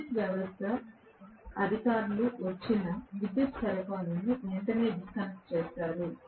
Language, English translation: Telugu, The power system authorities will come and disconnect my power supply immediately